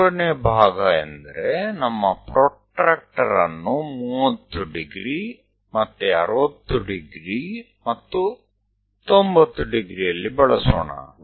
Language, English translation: Kannada, So, third part means let us use our protractor 30 degrees, again 60 degrees and 90 degrees